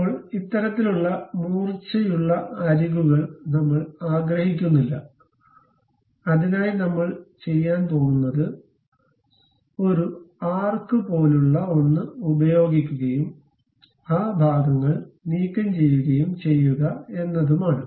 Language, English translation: Malayalam, Now, we do not want this kind of sharp edges; for that purpose what we are going to do is, we use something like a arc and remove those portions